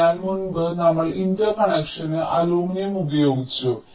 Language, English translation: Malayalam, so here, um, in earlier we used aluminum for the interconnections